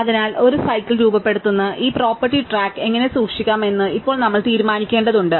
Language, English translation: Malayalam, So, now we have to just decide how to keep track of this property of forming a cycle